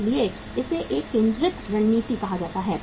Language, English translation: Hindi, So that is called as a focused strategy